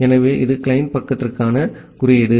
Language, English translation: Tamil, So, that is the code for the client side